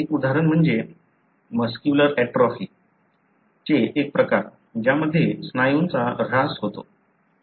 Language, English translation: Marathi, One example is one form of muscular atrophy, wherein the muscle degenerate, give up